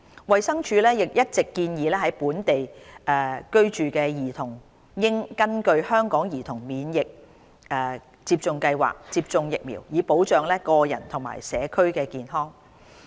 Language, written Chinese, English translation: Cantonese, 衞生署一直建議，在本地居住的兒童應根據香港兒童免疫接種計劃接種疫苗，以保障個人及社區健康。, DH has all along encouraged local children to receive measles vaccination under HKCIP to ensure personal and community health